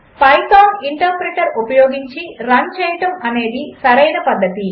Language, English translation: Telugu, The correct method is to run it using the Python interpreter